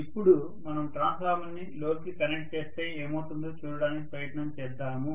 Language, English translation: Telugu, So let us try to now look at what happens when a transformer is connected to a load